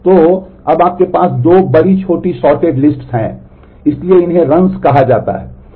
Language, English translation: Hindi, So, now, you have 2 bigger short sorted lists so, so these are called runs